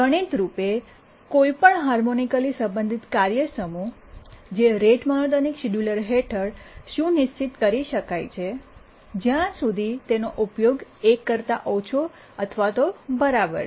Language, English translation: Gujarati, Now let's through a simple mathematics, let's show that any harmonically related task set is schedulable under the rate monotonic scheduler as long as its utilization is less than or equal to one